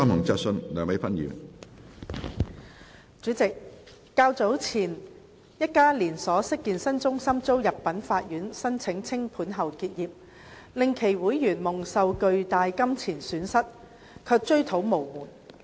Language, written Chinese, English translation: Cantonese, 主席，較早前，一家連鎖式健身中心遭入稟法院申請清盤後結業，令其會員蒙受巨大金錢損失卻追討無門。, President earlier on a chain fitness centre closed down its business after a winding - up petition had been filed with the court against it causing substantial financial losses to its members who could not find ways to seek compensation